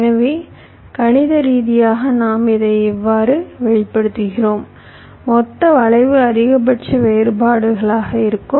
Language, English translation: Tamil, so mathematically we are expressing it like this: the total skew will be maximum of the differences